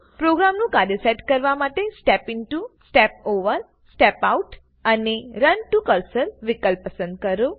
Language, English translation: Gujarati, Trace execution of a program with Step Into, Step Over, Step Out and Run to Cursor options